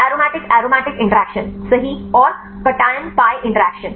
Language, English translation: Hindi, Aromatic aromatic interactions right and cation pi interaction